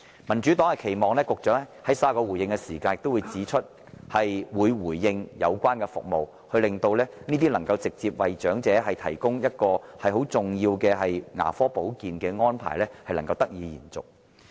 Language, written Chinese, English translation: Cantonese, 民主黨期望局長在稍後發言時能就相關服務作出回應，令這些直接為長者提供重要牙科保健的安排得以延續。, The Democratic Party hopes that the Secretary can give a response in his speech later on in respect of the relevant services in the context of enabling an extension of these arrangements which seek to provide the elderly with essential dental care services direct